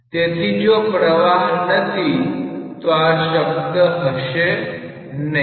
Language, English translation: Gujarati, So, if there is no flow, then this term would have been absent